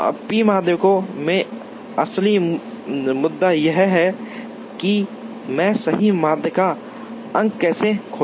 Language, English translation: Hindi, The real issue in the p median is, how do I find the correct median points